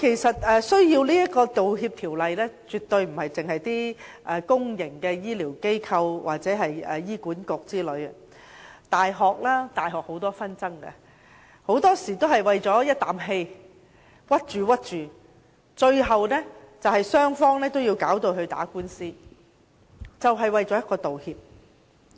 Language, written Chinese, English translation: Cantonese, 此外，需要《道歉條例》的，絕對不止是公營的醫療機構或醫院管理局，大學也有很多紛爭，很多時候只是意氣之爭，導致最後雙方打官司，只為一句道歉。, Moreover not only public medical institutions or the Hospital Authority but also universities may have to handle dispute cases and they need apology legislation . Many of these disputes originate from emotional arguments and end up in litigations but all that they want is just an apology . The same is true for public institutions